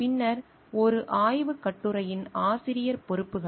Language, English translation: Tamil, Then, responsibilities of an author of a research article